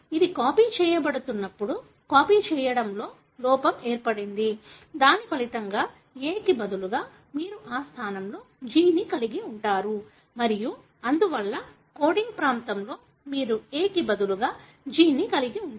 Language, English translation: Telugu, When it is being copied there was a copying error, as a result instead of A you have G in that place and therefore in the coding region, you would have G instead of A